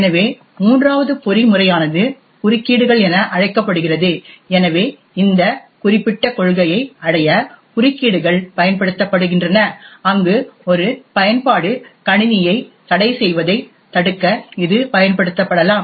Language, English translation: Tamil, So, the third mechanism is known as interrupts, so interrupts are used to achieve this particular policy where it can use be used to prevent one application from hogging the system